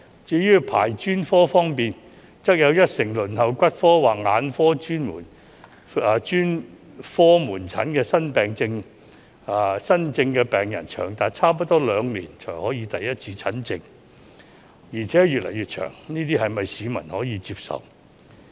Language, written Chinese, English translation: Cantonese, 至於專科的輪候時間，則有一成輪候骨科或眼科專科門診的新症病人，要輪候長達差不多兩年才可獲得第一次診症，而且時間越來越長，這是否市民可以接受的呢？, As for the waiting time for specialist services 10 % of new patients waiting for orthopaedics or ophthalmology specialist outpatient services have to wait nearly two years for their first consultation and the waiting time is getting longer and longer . Is this situation acceptable to the public?